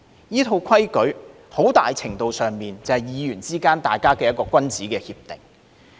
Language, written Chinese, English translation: Cantonese, 這套規矩很大程度上，就是議員之間的一項君子協定。, This set of rules to a large extent is a gentlemans agreement among all members